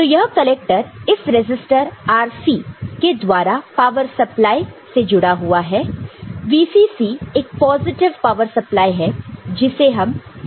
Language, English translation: Hindi, So, this collector is connected through this RC to power supply, the VCC a positive power supply, we considered 5 volt here